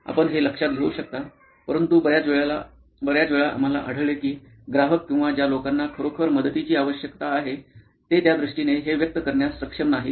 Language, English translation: Marathi, You can note that down, but most times we find that customers or people who really need help are not able to express it in those terms